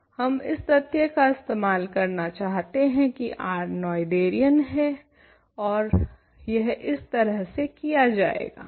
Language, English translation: Hindi, We want to use the fact that R is Noetherian and that is done in the following way ok